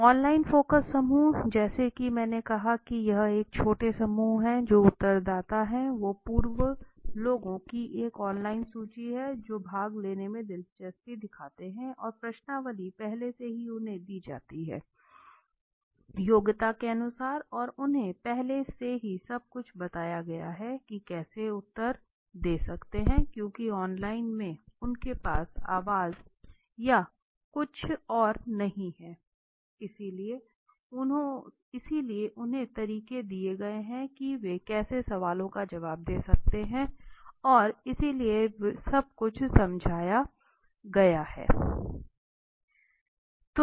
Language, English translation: Hindi, Online focus groups are nowadays I as I said it is a small groups which are respondents are pre recruited from an online list of people who have expressed interest in participating and questionnaire is already given to them so that they know on basis of their qualification and they are already told everything the rules how they can answer because in online they do not have the way the voice or something so they are given the methods how they can answer the questions and all so everything is explained